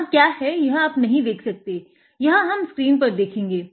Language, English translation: Hindi, Here you will not be able to see what is there, we will see in the screen ok